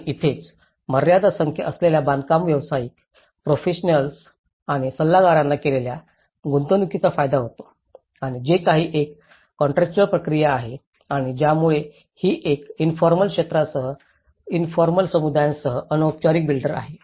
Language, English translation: Marathi, And this is where, a restricted number of builders, professionals and advisors benefit from the investment made and whatever it is a kind of contractual process and this the problem with this is where a formal builder versus with the informal sector, the informal communities